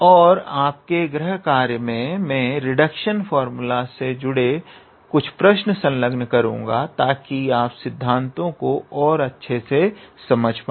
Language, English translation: Hindi, And in your assignment I will include some problems from reduction formula just to make the concept clear